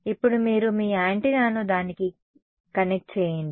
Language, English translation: Telugu, Now, it is now you connect your antenna to it right